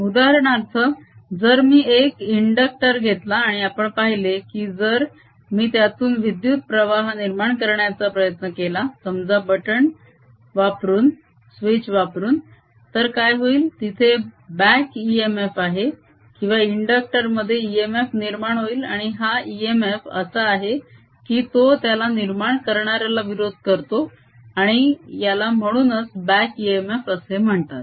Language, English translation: Marathi, for example, if i take an inductor and we have seen, if i now try to establish the current through it, maybe through a switch, then what happens is there's a back e m f or e m f developed in the inductor, and this e m f is such that it opposes change, that is establishing it, and this is also therefore known as back e m f